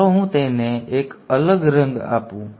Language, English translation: Gujarati, So let me give it a different color